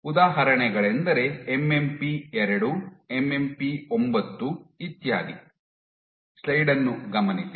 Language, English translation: Kannada, Examples are MMP 2, 9 etcetera